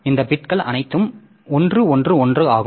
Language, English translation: Tamil, So, all the bits are one